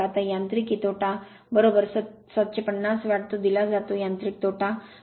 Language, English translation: Marathi, Now mechanical loss is equal to 70 750 watt it is given mechanical loss is given